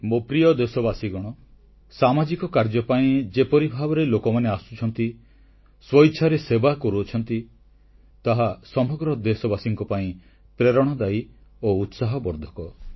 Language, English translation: Odia, My dear countrymen, the way people are coming forward and volunteering for social works is really inspirational and encouraging for all our countrymen